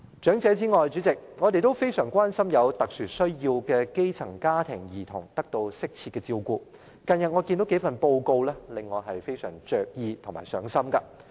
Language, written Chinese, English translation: Cantonese, 主席，除長者之外，我們也非常關心有特殊需要的基層家庭兒童有否得到適切的照顧，但近日有數份報告令我非常着意和上心。, President apart from elderly persons we are also very concerned about the provision of appropriate care to children with special needs from grass - roots families and in this connection the findings contained in several reports published recently warrant our close attention